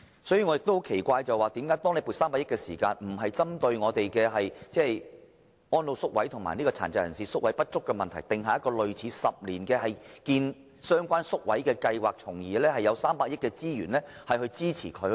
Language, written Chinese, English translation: Cantonese, 此外，我感到奇怪的是，為何政府在撥出300億元時，沒有針對安老宿位及殘疾人士宿位不足的問題，訂定類似興建相關宿位的10年計劃，並利用這300億元推行有關計劃？, Furthermore I find it strange that when the Government set aside the 30 billion provision it has not formulated some kind of a 10 - year plan for the provision of residential care places for the elderly and people with disabilities to address the shortfall problem and used this sum of money to implement the plan